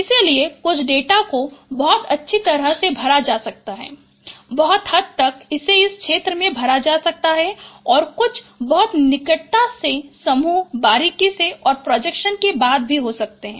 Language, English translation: Hindi, So some data could be very well spreaded, very largely spread it in an area and some could be very closely, uh, no closely groups, closely spaced and after projection